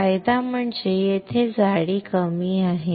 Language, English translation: Marathi, Advantage is the thickness here is less, correct